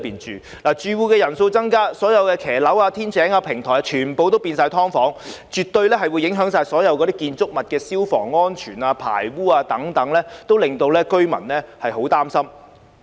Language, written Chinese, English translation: Cantonese, 住戶人數增加，所有露台、天井、平台都改裝為"劏房"，這絕對會影響建築物的消防安全、排污等，令居民非常擔心。, With the increase in the number of tenants all balconies yards and podiums have been converted into SDUs which will surely have an impact on fire safety and the sewage of the buildings concerned arousing grave concern among the residents